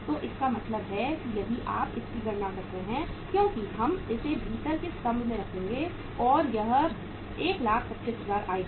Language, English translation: Hindi, So it means if you calculate this, this works out as uh we will keep it in the inner column and this works out as 125000